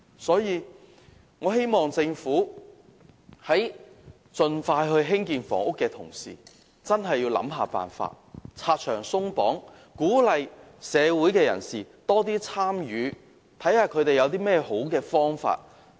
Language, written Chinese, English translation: Cantonese, 所以，我希望政府在盡快興建房屋的同時，真的想辦法拆牆鬆綁，鼓勵社會人士多提建議，看看他們有何好的方法。, Hence I hope the Government will in speeding up housing construction seriously consider how barriers can be torn down and encourage the public to propose viable solution